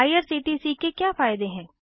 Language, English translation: Hindi, What are the advantages of irctc#160